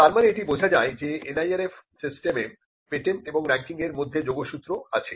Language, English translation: Bengali, Now, this tells us that there is some relationship between patents and ranking under the NIRF system